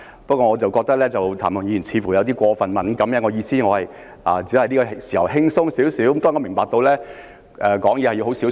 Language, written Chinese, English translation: Cantonese, 不過，我覺得譚文豪議員似乎有點過分敏感，因為我原本只想在這個時候輕鬆一點，當然，我明白說話要很小心。, Nevertheless I think Mr Jeremy TAM seems to be a bit too sensitive . I initially intended to speak in a casual way but certainly I understand that one has to be careful with his words